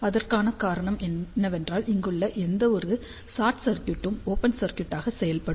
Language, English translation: Tamil, The reason for that is that any short circuit over here will act as an open circuit